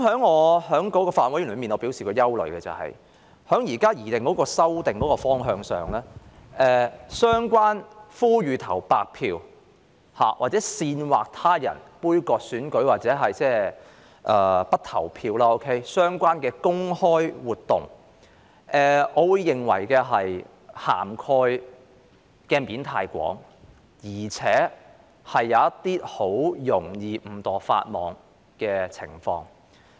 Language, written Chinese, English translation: Cantonese, 我在法案委員會表達的憂慮是，以現時的擬議修訂方向而言，我認為呼籲投白票或煽惑他人杯葛選舉或不投票的相關公開活動的涵蓋範圍太廣，很容易出現令人誤墮法網的情況。, The concern I expressed in the Bills Committee was that given the current direction of the proposed amendments I considered it a rather wide scope regarding the relevant public activity of calling for blank votes or inciting others to boycott an election or not to vote which could easily lead to inadvertent violations of the law